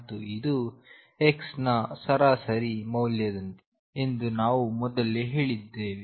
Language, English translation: Kannada, And we said earlier that this is like the average value of x